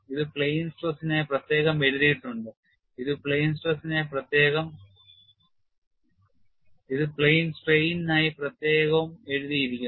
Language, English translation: Malayalam, It is separately written for plane stress, this separately written for plane strain